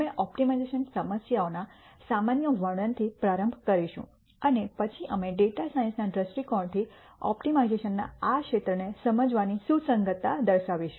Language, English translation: Gujarati, We will start with a general description of optimization problems and then we will point out the relevance of understanding this eld of optimization from a data science perspective